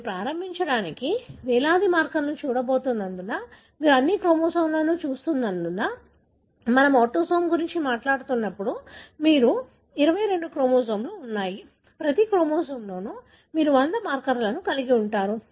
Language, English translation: Telugu, Because you are going to look at thousands of markers to begin with, because you are looking at all the chromosome, when we talk about autosome, you are having 22 chromosomes, each chromosome you may have 100 markers you are going to look into a large number of markers